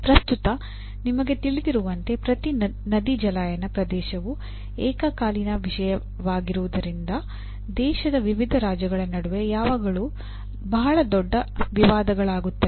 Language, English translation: Kannada, As you know at present, every river basin, being a, river water being a concurrent topic, there are always very major disputes between different states of the country